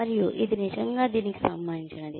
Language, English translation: Telugu, And, this really relates to that